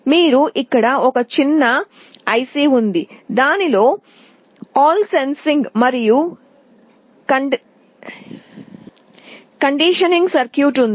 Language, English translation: Telugu, You see here there is a small IC that has all the sensing and conditioning circuitry inside it